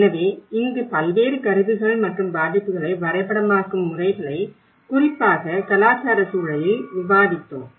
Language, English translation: Tamil, So here we did discussed about various tools and methods of mapping the vulnerability and especially, in cultural context